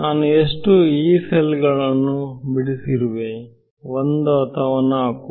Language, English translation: Kannada, So, how many Yee cells have I drawn 1 or 4